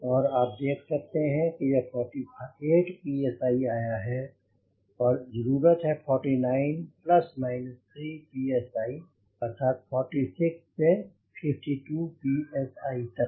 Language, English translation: Hindi, it has come to forty eight psi and the requirement is forty nine plus minus three psi, that is, forty six to fifty two psi